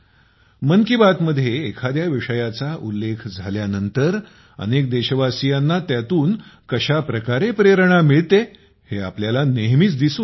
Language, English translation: Marathi, We often see how many countrymen got new inspiration after a certain topic was mentioned in 'Mann Ki Baat'